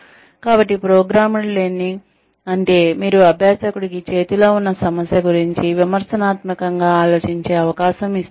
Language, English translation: Telugu, So, programmed learning means that you are giving the learner a chance to think critically, about the issue at hand